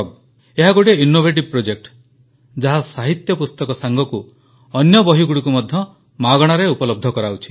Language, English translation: Odia, This in an innovative project which provides literary books along with other books, free of cost